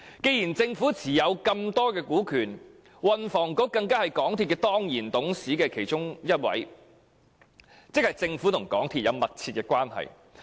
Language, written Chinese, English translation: Cantonese, 鑒於政府持有這麼多股權，而運輸及房屋局局長更是港鐵公司其中一位當然董事，政府和港鐵公司關係密切。, Given such a large stake held by the Government and that the Secretary for Transport and Housing is even one of the ex - officio directors of MTRCL the Government and MTRCL have a close relationship